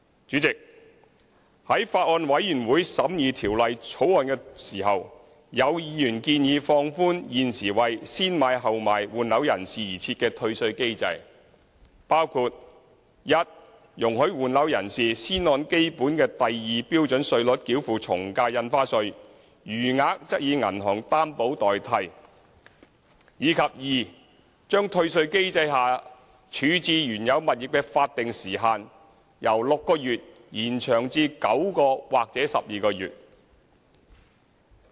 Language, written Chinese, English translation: Cantonese, 主席，在法案委員會審議《條例草案》時，有委員建議放寬現時為"先買後賣"換樓人士而設的退稅機制，包括一容許換樓人士先按基本的第2標準稅率繳付從價印花稅，餘額則以銀行擔保代替；以及二將退稅機制下處置原有物業的法定時限由6個月延長至9個月或12個月。, President when the Bills Committee was scrutinizing the Bill some members suggested to relax the refund mechanism for those who replaced their residential properties by acquiring a new property before disposing of the original one in the following ways including 1 allowing them to pay the lower AVD rates at Scale 2 and requiring them to provide the Government with a bank guarantee of an amount equal to the difference between stamp duty payments; and 2 extending the statutory time limit for disposal of the original property from 6 months to 9 months or 12 months